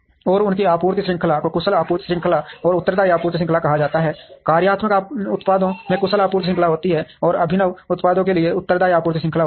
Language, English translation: Hindi, And their supply chains are called efficient supply chain and responsive supply chain, functional products have efficient supply chain, and responsive supply chains are for innovative products